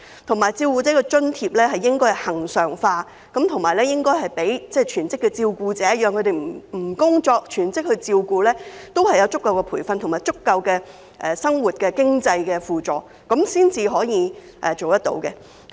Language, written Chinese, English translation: Cantonese, 此外，照顧者津貼計劃應該恆常化，並發放予全職的照顧者，讓他們可以放下工作，全職照顧家人，並有足夠的培訓及足夠的生活經濟輔助，這樣才可以解決問題。, Besides the carer allowance schemes should be regularized and granted to full - time carers so that they can give up their job to take care of their family members day and night and receive sufficient training and adequate financial support for living . Only in this way can the problems be resolved